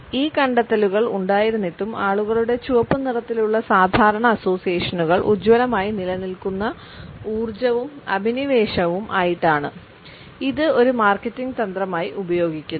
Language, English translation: Malayalam, Despite these findings we find that the normal associations in people’s mind of red are with energy and passion which remain vivid and are often used as marketing strategy